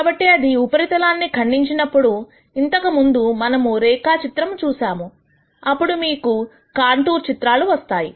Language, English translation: Telugu, So, when that cuts the surface that we saw in the previous graph then you have what are called these contour plots